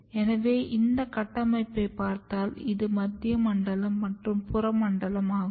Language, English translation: Tamil, So, if you look this structure this is central zone peripheral zone